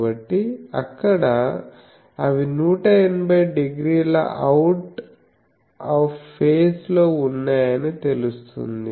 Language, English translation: Telugu, So, by there it is seen that they are 180 degree out of phase